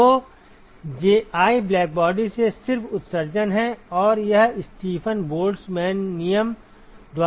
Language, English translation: Hindi, So, Ji is just the emission from the blackbody and that is given by Stephen Boltzmann law right